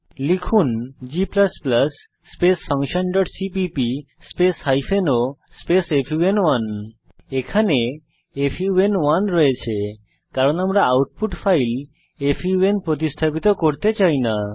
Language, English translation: Bengali, Type g++ function dot cpp hyphen o fun1 Here we have fun1, this is because we dont want to overwrite the output file fun